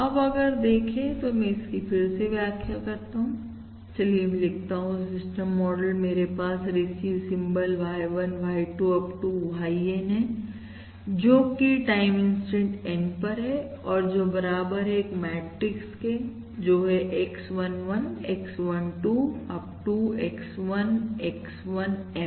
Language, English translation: Hindi, Now, if I look at and I am going to explain this again, let me write the system model I will have Y1, Y2… Up to YN, that is received symbol at time, instant N, which is equal to this matrix, that is, X11, X12, up to X1, X1M